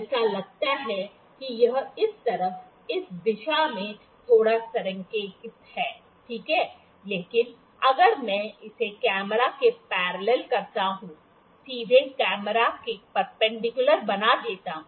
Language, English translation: Hindi, It looked like it is aligned on little this side, this direction, ok, but if I make it parallel to the camera on the straight perpendicular to the camera